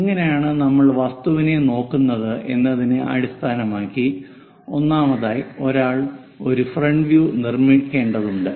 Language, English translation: Malayalam, Based on the object where we are looking at first of all, one has to construct a frontal view